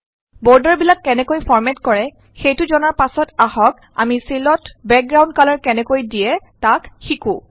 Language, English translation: Assamese, After learning how to format borders, now let us learn how to give background colors to cells